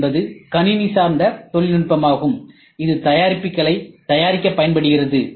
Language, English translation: Tamil, The CNC is also computer based technology that is used to manufacture products